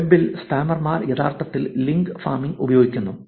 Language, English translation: Malayalam, In the webs, spammers actually use link farming